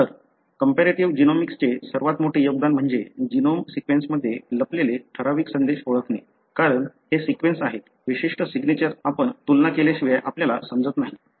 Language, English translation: Marathi, So, one of the biggest contributions of the comparative genomics is to identify certain messages that are hidden in the genome sequence, because these are sequence, certain signatures we do not understand unless you compare